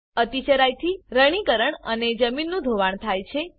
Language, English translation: Gujarati, Overgrazing leads to desertification and soil erosion